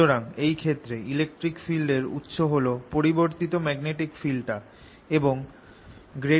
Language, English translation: Bengali, so in this case is a source of electric field that is produced is the changing magnetic field and the curl e is zero